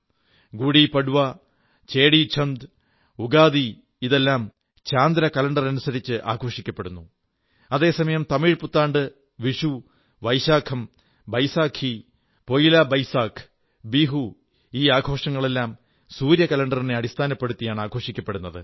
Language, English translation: Malayalam, GudiPadva, Chettichand, Ugadi and others are all celebrated according to the lunar Calendar, whereas Tamil PutanduVishnu, Baisakh, Baisakhi, PoilaBoisakh, Bihu are all celebrated in accordance with solar calendar